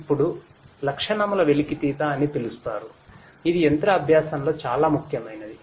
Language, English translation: Telugu, Then there is something called feature extraction which is very important in machine learning